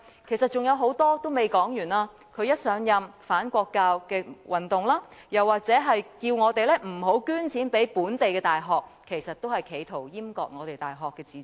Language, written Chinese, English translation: Cantonese, 其實還有很多事情尚未說完，他一上任便引起"反國教運動"，他又或叫我們不要捐錢予本地大學，其實亦是企圖閹割大學的自主。, Actually there are still a lot of things which have not been covered . He triggered off the anti - national education movement once assuming office . He also told us not to donate to the local universities in fact his intention was to deprive the universities of their autonomy